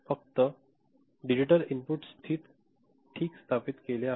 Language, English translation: Marathi, Only during the digital input is established ok